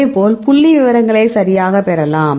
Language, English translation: Tamil, So, likewise you can get the statistics right